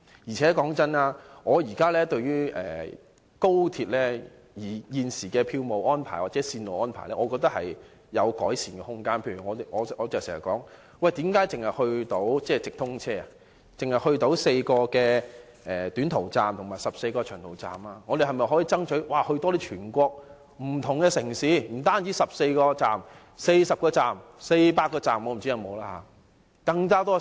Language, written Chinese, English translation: Cantonese, 老實說，我認為高鐵現時的票務安排或線路安排仍有改善空間，我經常詢問為何直通車只可到達4個短途站和14個長途站，而我們可否爭取直達全國不同的城市，不僅是14個站，而是40個站、400個站——我不知道有沒有這麼多。, Frankly I think the present XRL ticketing or route arrangements still have room for improvement . I often ask why the through trains can only reach four short - haul stations and 14 long - haul stations and whether we can strive for direct access to different cities across the whole country having not only 14 stations but 40 or 400 stations―I do not know if there are that many . However to achieve this it is necessary to implement the co - location arrangement